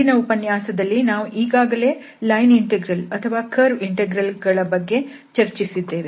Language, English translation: Kannada, So, in the last lecture we have already discussed what are the line integrals or the curve integrals